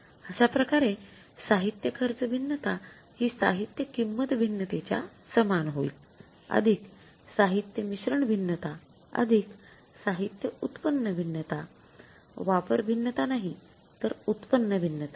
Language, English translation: Marathi, So, in a way material cost variance will be equal to material price variance plus material mixed variance plus material yield variance, not usage variance but yield variance